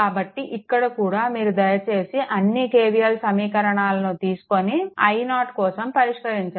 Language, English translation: Telugu, So, here also, you please right your all K V L equation and solve for i 0